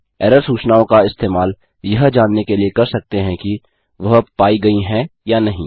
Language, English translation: Hindi, You can use the error messages to check if it has occurred or hasnt occurred